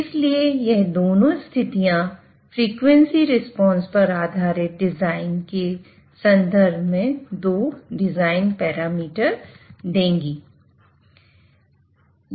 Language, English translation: Hindi, So these two conditions will give rise to two design parameters in terms of frequency response base design